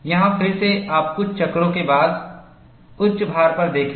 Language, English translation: Hindi, Here again, you look at, after few cycles, at the peak load